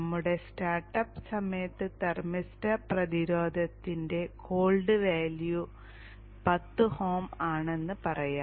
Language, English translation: Malayalam, So let us say at the time of start up the cold value of the thermal thermoster resistance is 10 oms